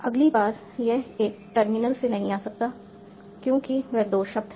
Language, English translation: Hindi, Next time, this cannot come from a single terminal because they are two words